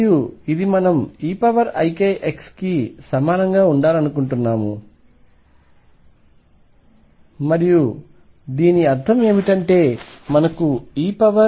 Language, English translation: Telugu, And this we want to be equal to e raise to i k x, and what this means is that we have e raise to i k L equals 1